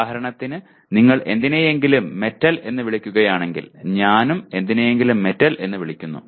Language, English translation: Malayalam, For example if you call something as a metal, I call something as a metal